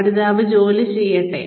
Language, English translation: Malayalam, Let the learner do the job